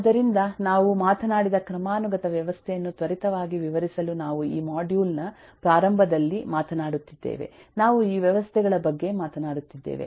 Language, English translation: Kannada, so just to quickly illustrate a hierarchical system, we have talked, we have been talking from the beginning of this module, we have been talking about this systems